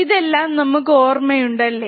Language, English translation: Malayalam, So, this we all remember correct